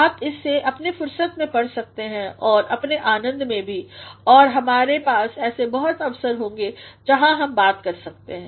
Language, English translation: Hindi, You can read it at your own leisure as well as at your own pleasure and we will have many such opportunities where we can talk about